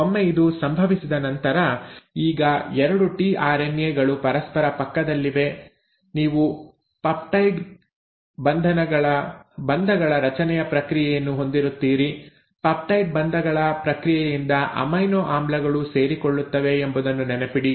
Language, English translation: Kannada, Once this has happened, now the 2 tRNAs are next to each other you will have the process of formation of peptide bonds; remember to amino acids are joined by the process of peptide bonds